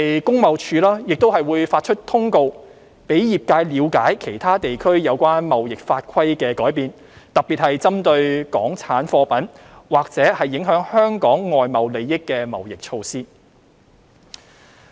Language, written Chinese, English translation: Cantonese, 工貿署亦會發出通告，讓業界了解其他地區有關貿易法規的改變，特別是針對港產貨品或影響香港外貿利益的貿易措施。, TID will also issue circulars to notify the industry changes in trade - related laws and regulations in other regions especially trade measures against Hong Kong - origin products or affecting the trade interests of Hong Kong